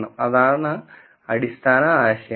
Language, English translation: Malayalam, So, that is the basic idea